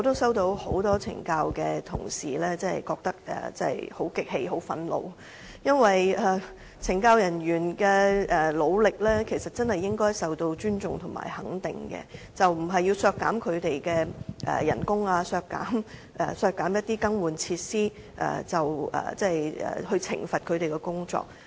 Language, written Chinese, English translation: Cantonese, 有很多懲教署同事向我反映，他們感到很不忿、很憤怒，因為懲教人員的努力，應該受到尊重和肯定，而不應通過削減他們的薪酬、削減更換設施的預算開支來懲罰他們。, Many CSD staff members told me that they were indignant and infuriated because their work should deserve respect and recognition rather than punishment through cutting the estimated expenditure for their remuneration and facility replacement